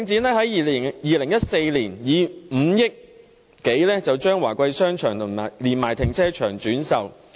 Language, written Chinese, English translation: Cantonese, 領展在2014年以5億多元的代價將華貴商場連停車場轉售。, In 2014 Link REIT sold Wah Kwai Shopping Centre together with its car park at a consideration of some 500 million